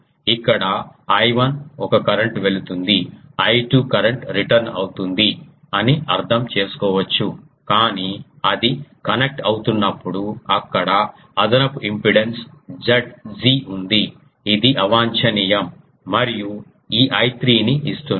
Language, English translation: Telugu, Here you can understand that I 1 is one current going, I 2 is that current returning, but then while it is getting connected there is an there is an extra impedance Z g which is undesired and that is giving this I 3 thing